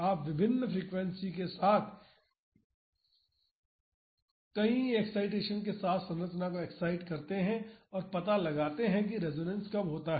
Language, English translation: Hindi, You excite the structure with multiple excitations with different frequencies and finds when the resonance happens